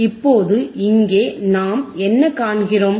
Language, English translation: Tamil, So, let us see what is that